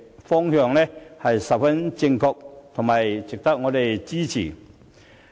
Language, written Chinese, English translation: Cantonese, 這個方向十分正確，值得我們支持。, This is the right direction which merits our support